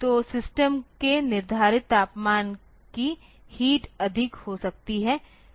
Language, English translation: Hindi, So, the heat of the set temperature of the system may be high